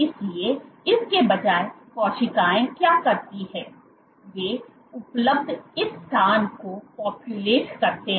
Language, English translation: Hindi, So, what the cells instead do is they populate this space available